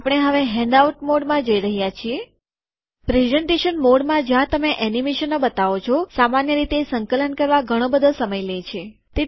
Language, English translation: Gujarati, The problem with the presentation mode, we are now going to the handout mode, the presentation mode where you show the animations generally takes a lot of time to compile